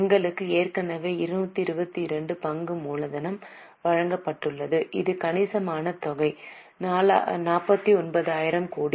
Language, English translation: Tamil, We already have been given share capital which is 2 to 2 and this is a substantial amount 49,000 crores